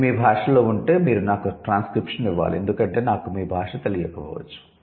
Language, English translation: Telugu, If it is in your language, you have to give me the transcription because I may not be a native speaker of your language